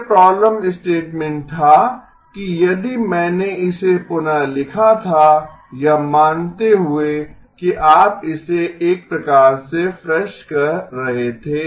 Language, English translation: Hindi, So the problem statement if I were to rewrite this supposing you were to sort of say it a fresh